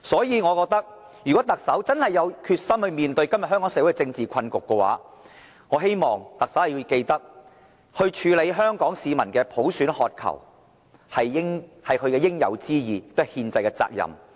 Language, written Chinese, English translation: Cantonese, 因此，如果特首真的有決心面對今天香港社會的政治困局，我希望特首處理香港市民對普選的渴求，這是她應有之義，也是其憲制責任。, Therefore if the Chief Executive is genuinely determined to face the political impasse troubling the Hong Kong community I hope she can address Hong Kong peoples quest for universal suffrage . This is her responsibility and constitutional obligation